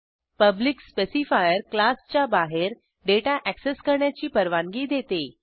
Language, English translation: Marathi, Public specifier The public specifier allows the data to be accessed outside the class